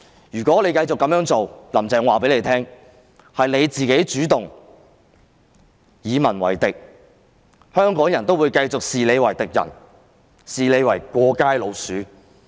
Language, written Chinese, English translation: Cantonese, 如果"林鄭"繼續這樣做，我要告訴她，是她主動與民為敵，香港人會繼續視她為敵人、"過街老鼠"。, If Carrie LAM continues to do so I have to tell her that she is actively making herself an enemy of the people and Hong Kong people will continue to regard her as an enemy or a rat dashing through the streets